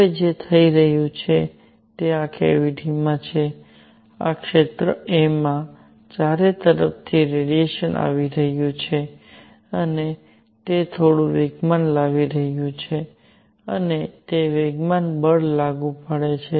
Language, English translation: Gujarati, Now what is happening is that in this cavity; at this area a, radiation is coming from all over and it is bringing in some momentum and that momentum applies force